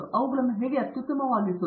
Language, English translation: Kannada, How to optimize them